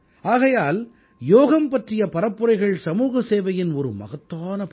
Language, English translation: Tamil, Therefore promotion of Yoga is a great example of social service